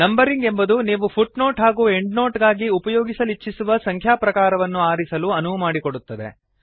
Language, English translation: Kannada, Numbering allows you to select the type of numbering that you want to use for footnotes and endnotes